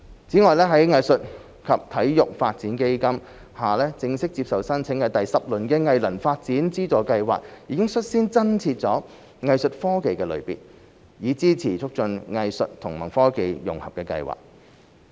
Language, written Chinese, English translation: Cantonese, 此外，在藝術及體育發展基金下正式接受申請的第十輪藝能發展資助計劃已率先增設"藝術科技"的類別，以支持促進藝術與科技融合的計劃。, In addition in the 10 Round Funding Exercise of Arts Capacity Development Funding Scheme under the Arts and Sport Development Fund which is now open for applications we have taken the lead in including a new category Arts Technology so as to support projects that facilitate the integration of arts and technology